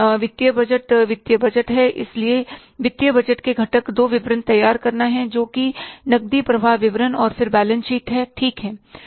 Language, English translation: Hindi, So the components of the financial budgets are preparing two two statements that is the cash flow statement and then the balance sheet, right